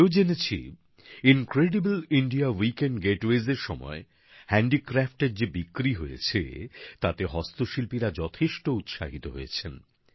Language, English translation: Bengali, I was also told that the total sales of handicrafts during the Incredible India Weekend Getaways is very encouraging to the handicraft artisans